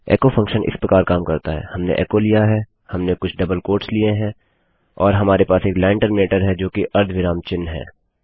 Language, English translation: Hindi, The echo function works like this: weve got echo, weve got some double quotes and weve got a line terminator which is the semicolon mark